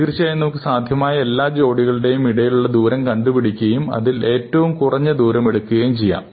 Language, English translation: Malayalam, Well, of course, you can take every pair of them, find the distance between each pair and then take the smallest one, right